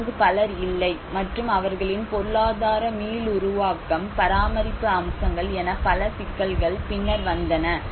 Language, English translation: Tamil, Now what you can see is not many people out there and their economic regeneration, the maintenance aspects there are many other issues came later on